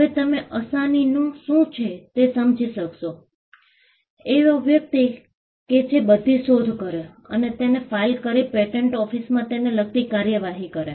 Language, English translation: Gujarati, Now, you will understand assignee, as a person who takes the invention and files it and prosecutes it at the patent office